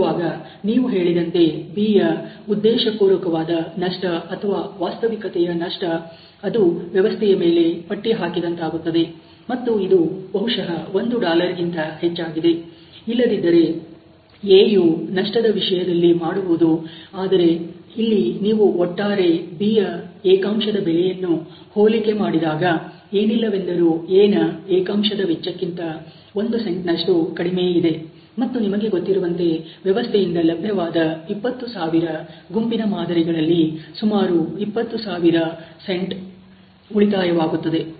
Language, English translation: Kannada, So, obviously although the B your saying has a intentional loss or virtual loss which gets slatted on to the system, and it is higher than a probably a $, then what A would otherwise doing in terms of losses, but you can see here that the overall unit cost of B is much lower in comparison at least one cent lower in comparison to that of A, and there about close to 20000 cents, which we were saving in a lot of 20000, you know or a batch of 20000 specimen of sample that you are getting for the system